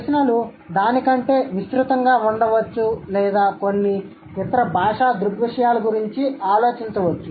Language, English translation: Telugu, The questions could be even broader than that or you might think about some other linguistic phenomena